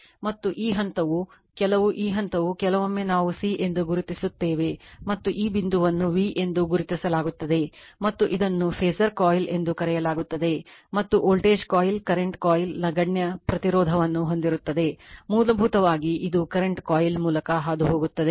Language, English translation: Kannada, And this point this point some , this point sometimes we mark c and this point marks as v and this is called phasor coil and voltage coil current coil has negligible resistance ; basically, it to , current passing through all the current passing through this your what you call ,your, this is the current coil